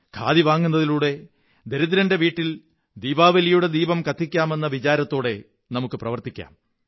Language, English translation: Malayalam, We should follow the spirit of helping the poor to be able to light a Diwali lamp